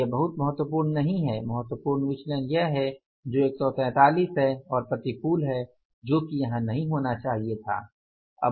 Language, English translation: Hindi, The important variance is this which is 143 unfavorable which should not have been there